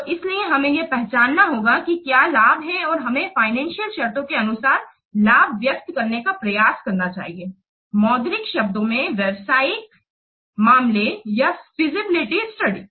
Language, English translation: Hindi, So that's why we must have to identify what are the benefits and we must try to express the benefits in terms of the financial terms, in monetary terms in the business case or in this feasible study report